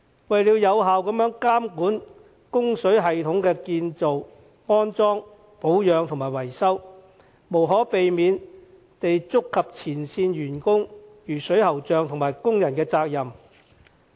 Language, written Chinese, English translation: Cantonese, 為了有效監管供水系統的建造、安裝、保養和維修，無可避免地觸及前線員工，如水喉匠和工人的責任。, To ensure the effective monitoring of the construction installation maintenance and repair of the plumbing system we inevitably have to deal with the liabilities of plumbers workers and other frontline staff